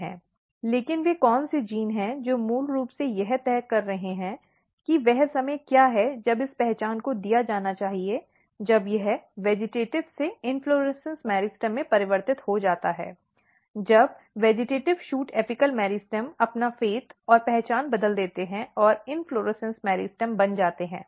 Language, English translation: Hindi, But what are the genes which are basically deciding that what is the time when this identity should be given when this transition from vegetative to inflorescence meristem when the vegetative shoot apical meristem changes its fate and identity and becomes inflorescence meristem